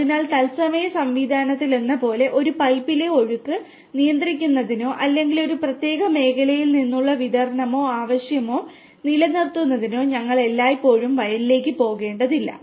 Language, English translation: Malayalam, So, with the like in the real time system, we always need not to go to the field in order to control the flow in a pipe or in order to sort of maintain the distribution or the demand from one particular sector